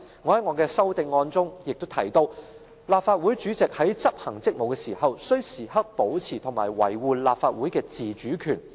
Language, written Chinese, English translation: Cantonese, 我在我的修正案中提到："立法會主席在執行職務時，須時刻保持和維護立法會的自主權。, I have proposed in my amendment that The President in discharging of his duties shall preserve and defend the autonomy of the Legislative Council at all times